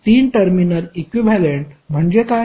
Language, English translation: Marathi, What do you mean by 3 terminal equivalents